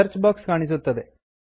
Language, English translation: Kannada, The Search box appears